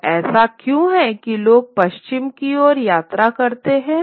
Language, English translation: Hindi, So why is it that people travel westwards